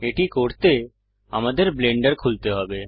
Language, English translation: Bengali, To do that we need to open Blender